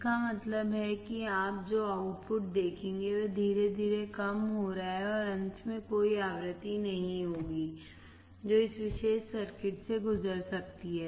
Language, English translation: Hindi, That means, the output you will see is slowly fading down, and finally, there will be no frequency that can pass through this particular circuit